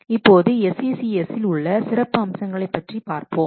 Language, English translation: Tamil, Now let's see about some of the features of SCCS